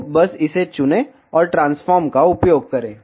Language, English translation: Hindi, So, just select this and use transform